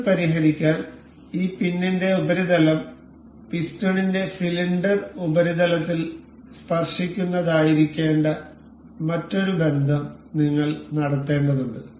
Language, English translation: Malayalam, To fix, this we will have to make another relation that this surface of this pin is supposed to be tangent over the cylindrical surface of this piston